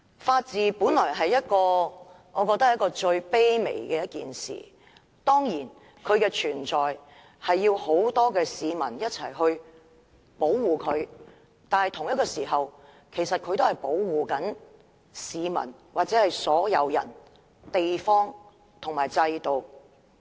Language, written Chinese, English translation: Cantonese, 法治本應是最卑微的一件事，當然法治需要很多市民一起保護才能存在，但同時，法治也在保護所有市民、地方和制度。, The rule of law should be something very humble . Certainly it takes many people to protect and preserve the rule of law but at the same time the rule of law is also protecting all the people places and systems